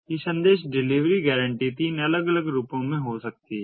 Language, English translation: Hindi, these message delivery guarantees can be in three different forms